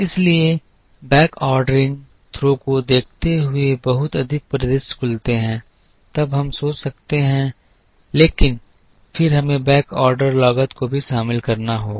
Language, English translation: Hindi, So, considering backordering throws open lot more scenarios then we can think of, but then we also have to include a backorder cost